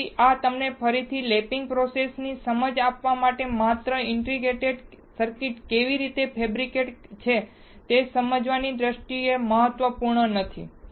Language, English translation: Gujarati, So, this is just to again quickly give you an understanding of the lapping process, really not important in terms of understanding how the integrated circuits are fabricated